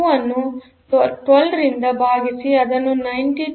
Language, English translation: Kannada, 0592 divided by 12 that is 921